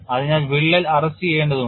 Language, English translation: Malayalam, So, the crack has to get arrested